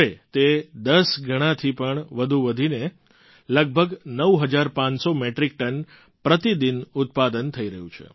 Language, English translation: Gujarati, Now, it has expanded to generating more than 10 times the normal output and producing around 9500 Metric Tonnes per day